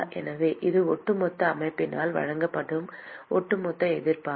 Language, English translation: Tamil, So, that is the overall resistance that is offered by the whole system together